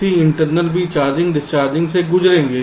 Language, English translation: Hindi, so c internal will also go through charging, discharging